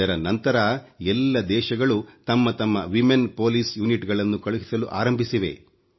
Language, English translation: Kannada, Later, all countries started sending their women police units